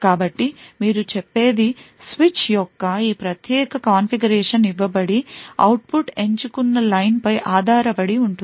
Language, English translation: Telugu, So what you say is given this particular configuration of the switch, the output would be dependent on select line